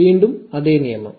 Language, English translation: Malayalam, Again, the same rule